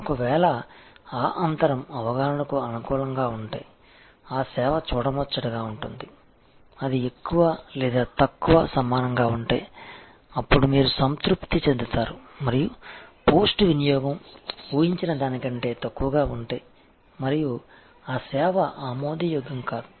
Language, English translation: Telugu, If that gap is in favor of the perception, then the service is delightful, if it is more or less equal, then you just satisfied and if the post consumption perception is less than expectation and that service is unacceptable